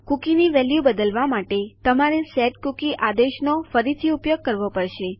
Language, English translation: Gujarati, To change the value of a cookie, youll have to use setcookie command again